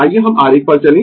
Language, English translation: Hindi, Let us go to the diagram